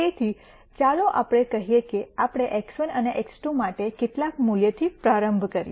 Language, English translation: Gujarati, So, let us say we start with some value for x 1 and x 2